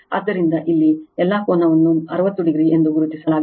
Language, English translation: Kannada, So, so all angle here it is 60 degree is marked